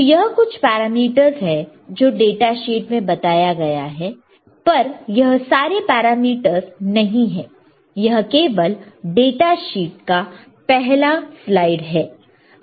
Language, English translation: Hindi, So, these are all the parameters in that data sheet, but not all the parameters this is just first slide of the data sheet